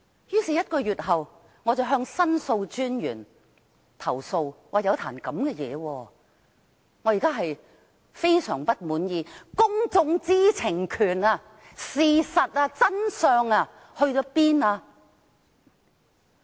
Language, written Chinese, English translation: Cantonese, 於是，在1個月後，我向申訴專員投訴，我說發生了這樣的事情，令我相當不滿意，究竟公眾知情權、事實和真相到哪裏去了？, Is this not laughable? . I therefore lodged a complaint with The Ombudsman a month later recounting what happened in this case and expressing my dissatisfaction . Where exactly are the publics right to know the facts and the truth?